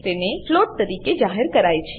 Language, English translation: Gujarati, It is declared as float